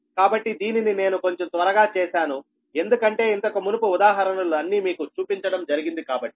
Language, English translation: Telugu, so this one i made little bit faster because all examples we have shown right